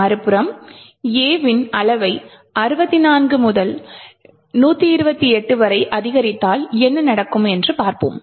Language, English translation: Tamil, On the other hand, if we increase the size of A from say 64 to 128 let us see what would happen